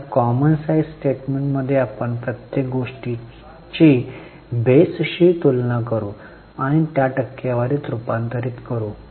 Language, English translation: Marathi, Now in common size statement we will compare everything with a base and convert them into percentages